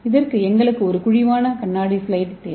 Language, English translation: Tamil, For this we need a concave glass slide